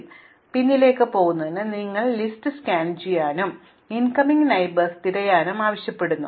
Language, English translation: Malayalam, Because, going backwards requires you to scan this list and look for all the incoming neighbours